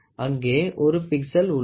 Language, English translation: Tamil, There is 1 pixel, ok